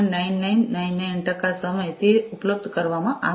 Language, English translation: Gujarati, 9999 percent of the time it is available